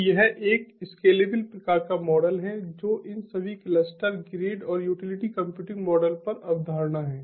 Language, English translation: Hindi, so this is like a scalable kind of model, that that has been conceptualized over all these cluster, grid and utility computing models